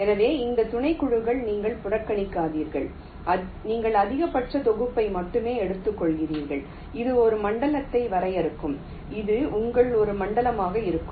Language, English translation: Tamil, so you ignore this subsets, you only take the maximal set and this will define one zone